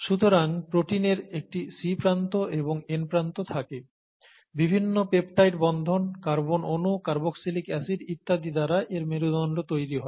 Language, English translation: Bengali, So a protein has a C terminus and an N terminus, it has a backbone consisting of the various peptide bonds and carbon atoms, carboxylic acid molecules and so on